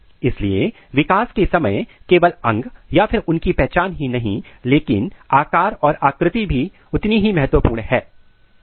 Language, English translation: Hindi, So, during the development it is not only the organ it is not only the identity, but their patterning is also equally important